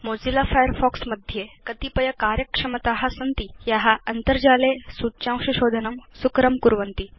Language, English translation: Sanskrit, Mozilla Firefox has a number of functionalities that make it easy to search for information on the Internet